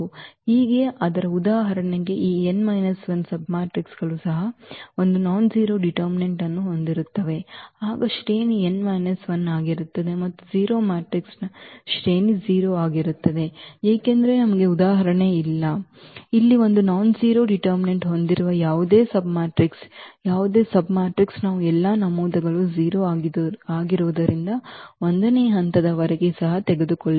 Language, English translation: Kannada, But for instance, this n minus one submatrices even one has nonzero determinant then the rank will be that n minus 1, and rank of a 0 matrix is 0 because we do not have for example, here this any submatrix with nonzero determinant any submatrix we take, even up to level 1 also because all the entries are 0